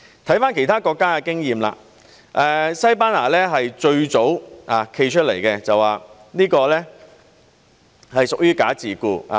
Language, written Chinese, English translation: Cantonese, 看看其他國家的經驗，西班牙是最早站出來說這是屬於"假自僱"。, Let us look at the experience of other countries . Spain is the first to come forward with the assertion that all this constitutes bogus self - employment